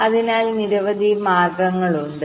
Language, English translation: Malayalam, so there are so many ways, right